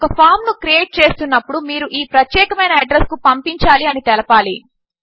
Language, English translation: Telugu, When creating a form, you could say you want to send to this particular address